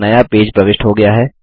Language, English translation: Hindi, A new page is inserted